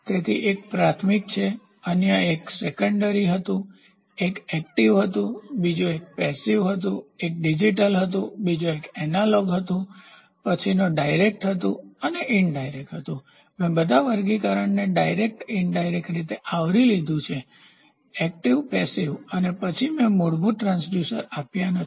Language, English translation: Gujarati, So, one is primary, other one was secondary, one was active, the other one was passive, one was digital, the another one was analog, the next one was direct and it indirect I think, I have covered all the classifications direct indirect active passive and then oh I have not given the basic transducers